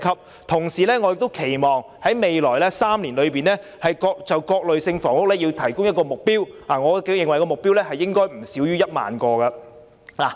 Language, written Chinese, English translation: Cantonese, 我同時亦期望在未來3年就各類房屋提供一個總供應目標，我認為目標應該不少於1萬個單位。, I also propose that a target be set for the total supply of various kinds of housing in the next three years which should not be less than 10 000 units